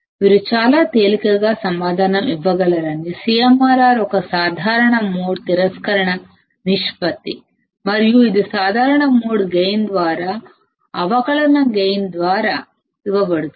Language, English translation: Telugu, That you can you can answer very easily, the CMRR is a common mode rejection ration and it is given by differential gain by common mode gain